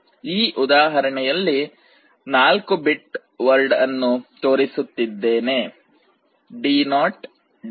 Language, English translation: Kannada, In this example, I am showing it is a 4 bit word D0 D1 D2 3